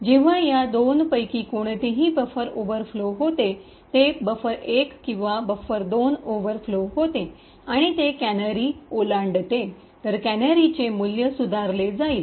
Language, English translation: Marathi, Now whenever, if any of these two buffers overflow, that is buffer 1 or buffer 2 overflows and it crosses the canary, then the canary value will be modified